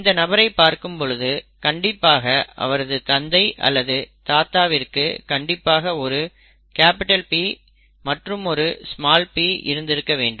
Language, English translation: Tamil, With this, and taking a look at this, this father or the grandfather should have had at least one capital P and one small p